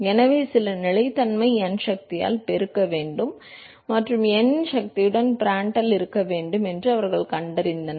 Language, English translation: Tamil, So, then therefore, they found that should be some constancy multiplied by power n and Prandtl to the power of n